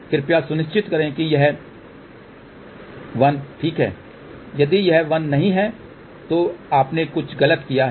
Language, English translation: Hindi, Please ensure this has to be 1 ok, if it is not 1 again you have done something wrong